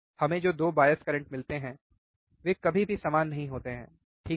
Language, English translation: Hindi, One, now the 2 bias currents that we get are never same, right